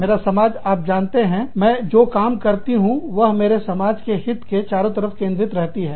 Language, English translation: Hindi, My community is, you know, whatever i do, has to be centered, around the best interests of, only my community